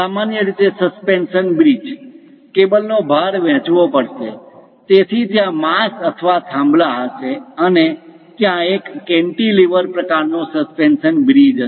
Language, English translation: Gujarati, Usually, the suspension bridge, the cables load has to be distributed; so there will be mass or pillars, and there will be more like a cantilever kind of suspension bridges will be there